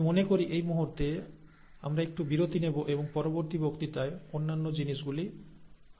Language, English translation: Bengali, I think at this point in time, we will take a break for the next , and cover the other things in the next lecture